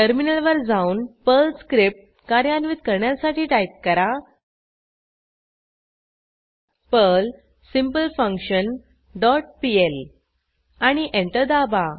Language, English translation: Marathi, Then switch to the terminal and execute the Perl script by typing perl simpleFunction dot pl and press Enter